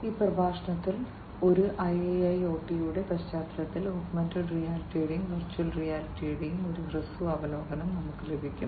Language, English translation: Malayalam, In this lecture we are going to get a brief overview of Augmented Reality and Virtual Reality in the context of a IIoT